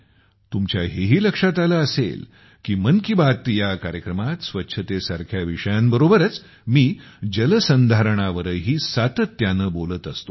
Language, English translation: Marathi, You must have also noticed that in 'Mann Ki Baat', I do talk about water conservation again and again along with topics like cleanliness